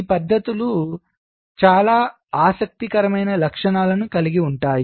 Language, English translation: Telugu, now see, these methods have very interesting characteristics